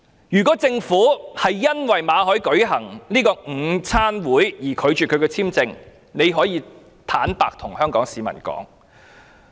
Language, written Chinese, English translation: Cantonese, 如果政府是因為馬凱舉行午餐會而拒發簽證給他，可以坦白向香港市民說。, If the Government refused to renew Victor MALLETs visa because he hosted the luncheon it can honestly make a confession to Hong Kong people